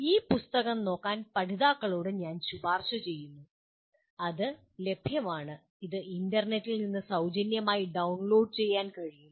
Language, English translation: Malayalam, I recommend the learners to have a look at this book and it is available, it can be downloaded from the internet free